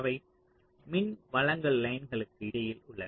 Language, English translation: Tamil, so they are interspaced between power supply lines